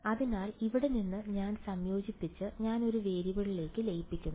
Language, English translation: Malayalam, So, now from here, I have combined I have merged into one variable